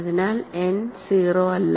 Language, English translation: Malayalam, So n is not 0